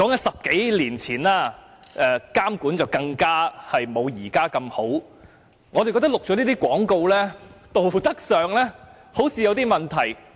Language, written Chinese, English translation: Cantonese, 十多年前，政府的監管更沒有現時般完善，我們認為錄製這些廣告，在道德上好像有問題。, Some ten years ago government regulation was not as comprehensive as today . In our view it seemed that ethical issues would arise from recording such advertisements